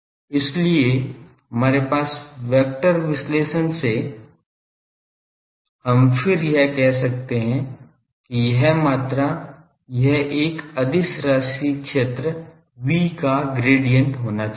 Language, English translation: Hindi, So, again from our vector analysis we can then say that this quantity; this should be then gradient of a scalar field V